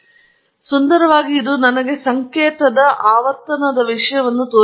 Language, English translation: Kannada, And beautifully it shows me the frequency content of the signal